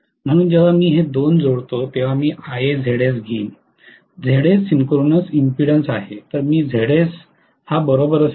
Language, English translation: Marathi, So when i add these two I am going to get Ia Zs, Zs is the synchronous impedance right